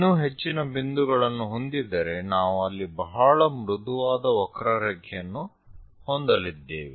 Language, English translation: Kannada, So, having many more points, we will be going to have a very smooth curve there